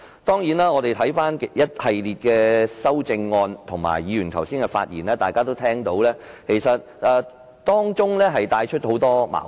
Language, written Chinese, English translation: Cantonese, 當然，當我們留意一系列的修正案及議員剛才的發言，大家也會發現當中其實帶出很多矛盾。, Of course having paid attention to a series of amendments and speeches made by Members just now Honourable colleagues would identify the many contradictions contained therein